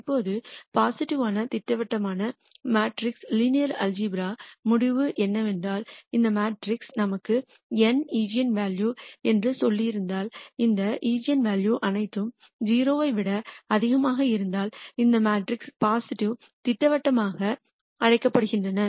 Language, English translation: Tamil, Now, the linear algebraic result for positive definite matrix is that if this matrix has let us say n eigenvalues, and if all of these eigenvalues are greater than 0 then this matrix is called positive definite